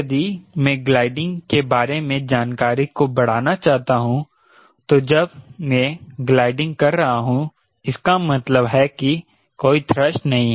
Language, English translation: Hindi, ok, if i want to extrapolate the information about gliding once, we are gliding means there is no thrust